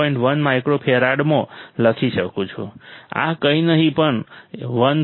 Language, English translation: Gujarati, 1 microfarad this will be nothing, but 159